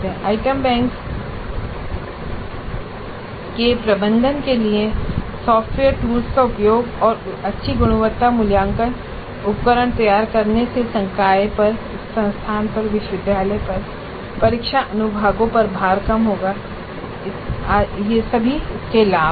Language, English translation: Hindi, Use of software tools for management of item banks and generating good quality assessment instruments will reduce the load on the faculty, on the institute, on the university, on the exam sections